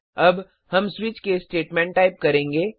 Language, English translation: Hindi, Here is the syntax for a switch case statement